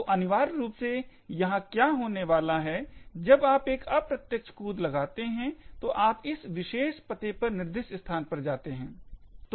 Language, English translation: Hindi, So, essentially what is going to happen here is when you make an indirect jump, so you jump to a location specified at this particular address